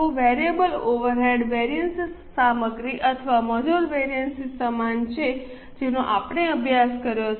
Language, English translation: Gujarati, Now variable overhead variances are pretty similar to the material or labour variances which we have studied